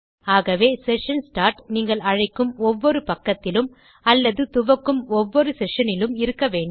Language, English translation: Tamil, So you need session start inside every page that you call or declare a session in